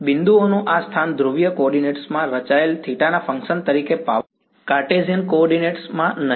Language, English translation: Gujarati, This locus of points is the power as a function of theta plotted in polar coordinates, not in Cartesian coordinates